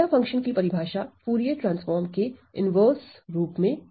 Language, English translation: Hindi, Definition of delta function as an inverse of Fourier transform ok